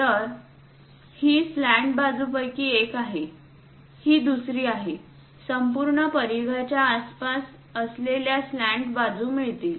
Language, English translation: Marathi, So, this is one of the slant, one other one; around the entire circumference, we have a slant